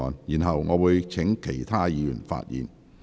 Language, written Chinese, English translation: Cantonese, 然後，我會請其他委員發言。, Then I will call upon other Members to speak